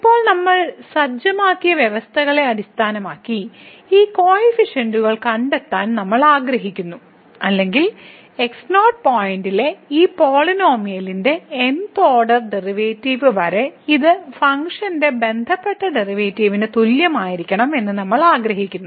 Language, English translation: Malayalam, So, now we want to find these coefficients ’s based on the conditions which we have set or we wish to have that this up to th order derivative of this polynomial at the point must be equal to the respective derivative of the function at the same point